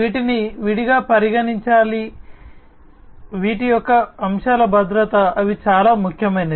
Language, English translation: Telugu, These have to be considered separately, the security of aspects of these, they are very important